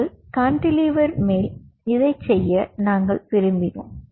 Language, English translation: Tamil, we wanted to do this on top of a cantilever